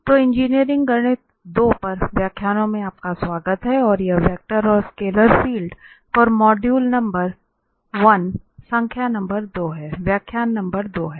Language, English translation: Hindi, So, welcome to lectures on Engineering Mathematics 2 and this is module number one lecture number two on vector and scalar fields